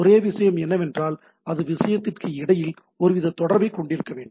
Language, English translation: Tamil, The only thing is that it should have some sort of connectivity between the thing